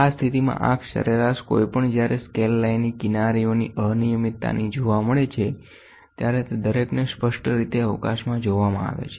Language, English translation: Gujarati, In this case, the eye average the averages any slight irregularities of the edges of a scale line when seen clearly space them each